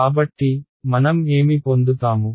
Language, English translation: Telugu, So, what will I get